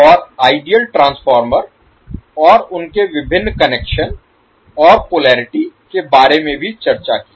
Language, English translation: Hindi, And also discussed about the ideal transformer and their various connections and the polarity